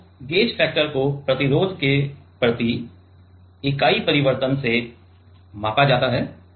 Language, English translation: Hindi, So, gauge factor is measured by what is the per unit change of resistance